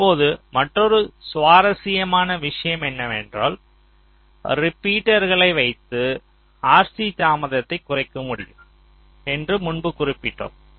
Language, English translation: Tamil, now another interesting thing is that this i have mentioned earlier that you can reduce r c delays with repeaters